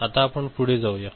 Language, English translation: Marathi, Now, let us move forward